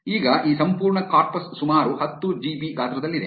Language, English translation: Kannada, Now, this entire corpus is about 10 GB in size